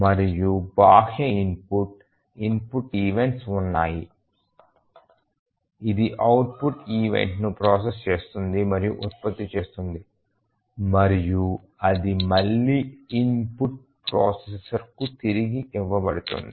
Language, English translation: Telugu, And there are input external input events, it processes and produces output event and that is again fed back to the input processor